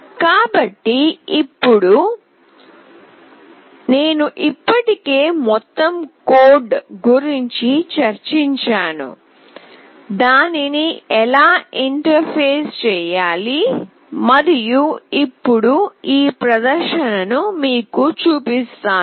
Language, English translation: Telugu, So now, that I have already discussed the whole code how do we interface it and how do we display it